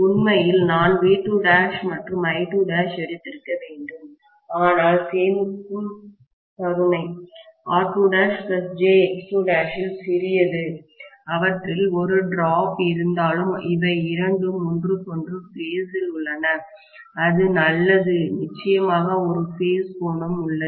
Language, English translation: Tamil, Actually I should have taken V2 dash and I2 dash, okay, but the saving grace is R2 dash plus j X2 dash is very very small because of which, although there is a drop, I can see okay, these two are in phase with each other, that is fine definitely there is a phase angle